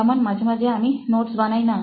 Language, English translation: Bengali, Like sometimes I do not prepare notes